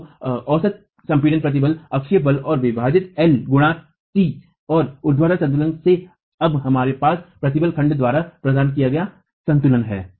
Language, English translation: Hindi, So, the average compressive stress is the axial force divided by L into T and from vertical equilibrium we now have equilibrium provided by the stress block itself